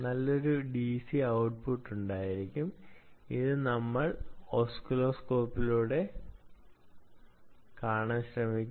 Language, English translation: Malayalam, this is output or which you should be able to see on the oscilloscope